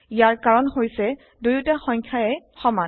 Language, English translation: Assamese, This is because the two numbers are equal